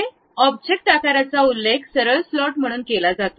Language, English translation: Marathi, The object shape is clearly mentioned there as straight slot